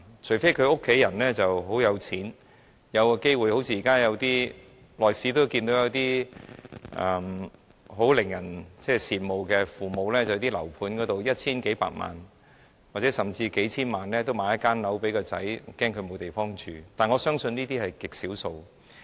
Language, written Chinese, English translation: Cantonese, 除非年青人的家人很有錢，好像我們間中也看見一些很令人羨慕的父母，在樓盤開售時以一千數百萬元甚至數千萬元購買物業給子女，擔心子女沒有居所，但我相信這些個案是極少數的。, Exceptions are only in which the family members of the young people are very rich just like we will sometimes see that some admirable parents will pay 10 million or even tens of million dollars to buy a flat for their children when the property is offered for sale as they worry that their children will have no place to live . Nevertheless I believe these are extremely rare cases